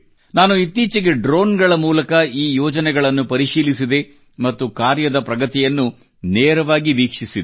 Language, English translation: Kannada, Recently, through drones, I also reviewed these projects and saw live their work progress